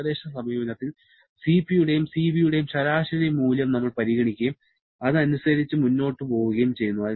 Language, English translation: Malayalam, In approximate approach, we consider an average value of Cp and Cv and proceed accordingly